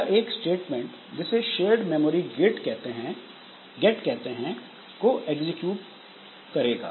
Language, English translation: Hindi, So, it will be executing a system called shared memory gate